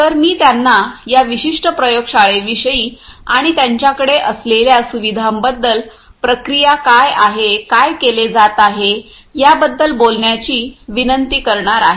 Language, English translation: Marathi, So, I am going to request them to speak about this particular lab and the facility that they have, what is the processing that is done, how it is being done; all the details